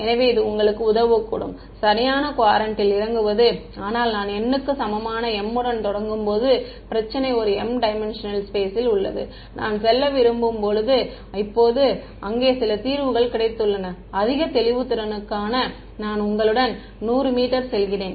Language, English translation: Tamil, So, it may help you in sort of getting into the right quadrant, but the problem is when I start with m equal to n, I have an m dimensional space and I have got some solution over there now when I want to go for a higher resolution let us say I go to you know 100 m